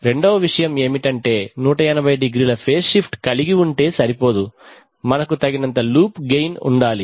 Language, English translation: Telugu, The second point is that but just having 180˚ phase shift is not enough, we should have enough loop gain